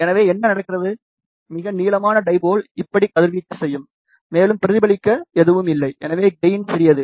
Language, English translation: Tamil, So, what happens, the longest dipole will radiate like this, and nothing is there to reflect back, hence gain is small